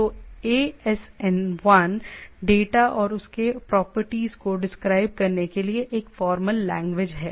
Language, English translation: Hindi, So, ASN 1 is a formal language for describing the data and its properties